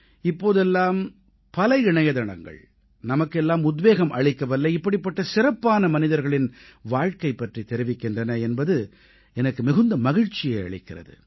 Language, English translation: Tamil, I am glad to observe that these days, there are many websites apprising us of inspiring life stories of such remarkable gems